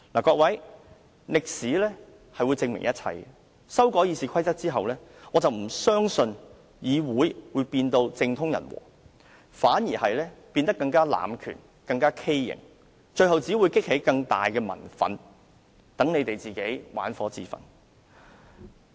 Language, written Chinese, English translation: Cantonese, 各位，歷史會證明一切，修改《議事規則》後，我不相信議會會變得政通人和，反而會變得更多濫權、更加畸形，最後只會激起更大的民憤，讓建制派玩火自焚。, Fellow Members history will prove itself . I do not think there will be good governance and social harmony in the Council after the amendment of RoP . Instead there will be more abuse of power to further distort the Council resulting in greater public resentment